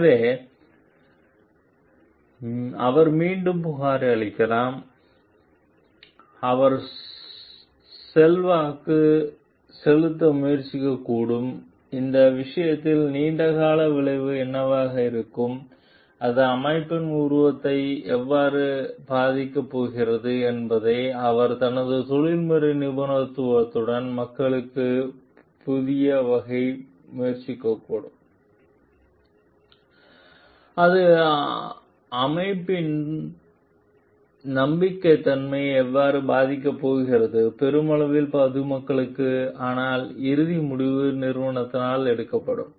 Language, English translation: Tamil, So, he may report again, he may try to influence, he may try to make people understand with his professional expertise what could be the long term effect of this thing and how it is going to affect the image of the organization, how it is going to affect the trustworthiness of the organization to the public at large, but the ultimate decision will be taken by the organization